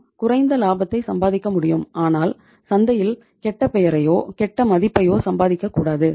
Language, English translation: Tamil, We can earn the lesser profits but we should not be earning bad name or bad reputation in the market